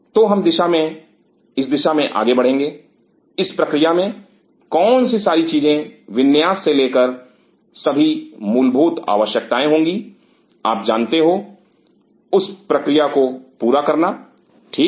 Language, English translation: Hindi, So, we will continue in this line what all other things in that process from layout to all the basic requirements will be you know completing in that process ok